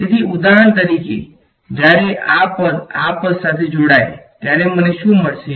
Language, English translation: Gujarati, So, for example, when this guy combines with this guy what will I get